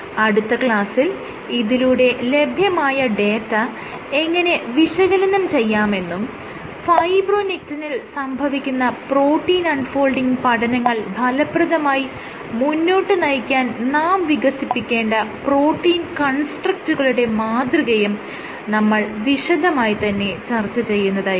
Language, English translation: Malayalam, So, in the next class we will continue with this and see how to analyze our data and what are the design principles associated with coming up with protein constructs for understanding the protein unfolding of fibronectin